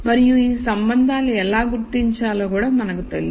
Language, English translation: Telugu, And we also know how to identify these relationships